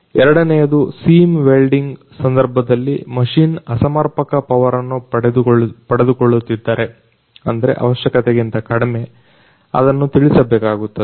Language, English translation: Kannada, Secondly, in case the seam folding machine is getting improper power supply then it should be notified